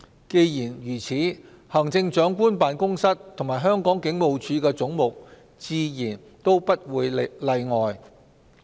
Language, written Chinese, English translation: Cantonese, 既然如此，行政長官辦公室及香港警務處的總目自然也不例外。, That being the case heads in relation to the Chief Executives Office and the Hong Kong Police are no exceptions